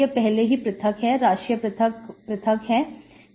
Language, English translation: Hindi, This is already separated, variables are separated